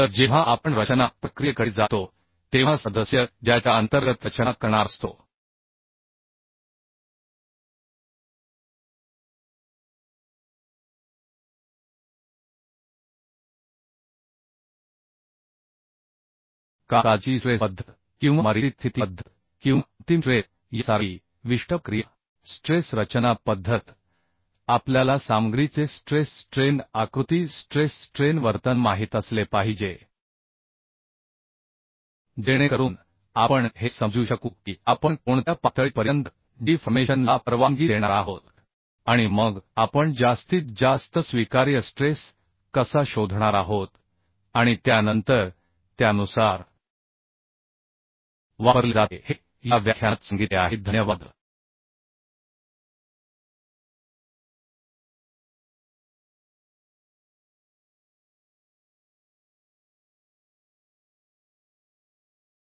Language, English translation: Marathi, So when we go to the design procedure, the member, when member is going to be design under certain procedure, like working stress method or limit state method or ultimate stress uhh strain design method, we have to know the stress strain diagram, stress strain behavior of the material so that we can understand that up to what level we are going to allow the deformation and then how we are going to uhh find out the maximum allowable stress and then according to that, design criteria would be decided